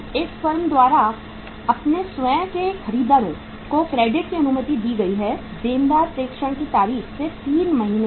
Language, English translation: Hindi, Credit allowed by this firm to their own buyers debtors is 3 months from the date of dispatch